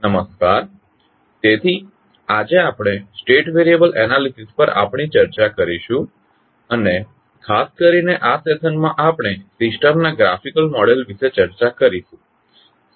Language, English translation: Gujarati, Namashkar, so today we will start our discussion on state variable analysis and particularly in this session we will discuss about the graphical model of the system